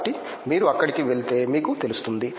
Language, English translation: Telugu, So, you go there and you know there